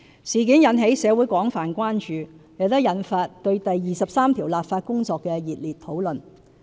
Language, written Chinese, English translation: Cantonese, 事件引起社會廣泛關注，亦引發對第二十三條立法工作的熱烈討論。, This issue has aroused extensive public concern and intense discussion on the legislation for Article 23